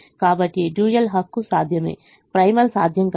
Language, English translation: Telugu, dual is feasible, but the primal is infeasible